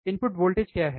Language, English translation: Hindi, What are input voltage